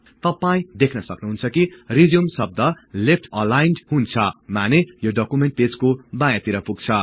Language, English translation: Nepali, You will see that the word RESUME is left aligned, meaning it is towards the left margin of the document page